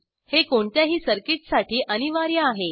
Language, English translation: Marathi, This is mandatory for any circuit